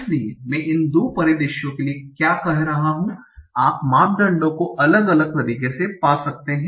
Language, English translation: Hindi, So now what I'm saying for these two scenarios you can find the parameters in different manner